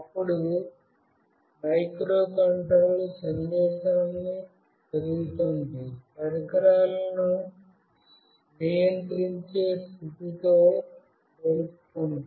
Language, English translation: Telugu, Then the microcontroller reads the message, compares it with the condition for controlling the equipment